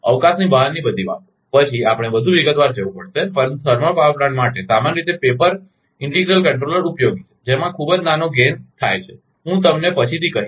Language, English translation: Gujarati, Another thing beyond the scope, then we have to go much into detail, but for thermal power plant, generally utilities the paper integral controller having very small gain setting reasons, I will tell you later